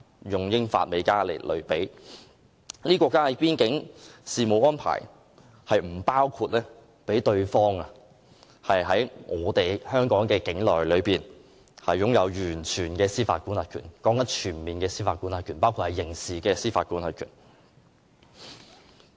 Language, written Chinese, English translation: Cantonese, 因為這些國家之間的邊境事務安排，並不包括讓對方在己方境內擁有完全的司法管轄權，我所說的是全面的司法管轄權，包括刑事司法管轄權。, The reason is that under the border arrangements adopted in these cases no one side is permitted to exercise full jurisdiction in the territory of the other side . I am talking about full jurisdiction including criminal jurisdiction